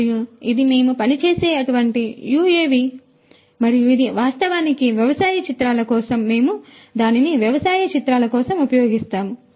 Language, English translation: Telugu, And, this is one such UAV that we work with and this is actually for agro imagery we use it for agro imagery